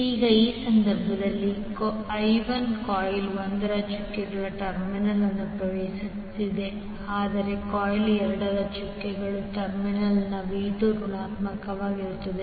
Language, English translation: Kannada, Now in this case now I1 is entering the doted terminal of coil 1 but the V2 is negative at the doted terminal of coil 2